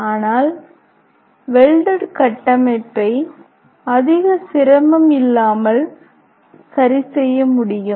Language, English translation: Tamil, On the other hand a welding a structure can be repaired without much difficulty